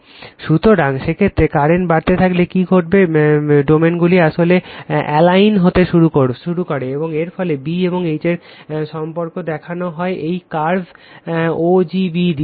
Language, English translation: Bengali, So, in that case, what will happen after going on increasing the current right, the domains actually begins to align and the resulting relationship between B and H is shown by the curve o g b right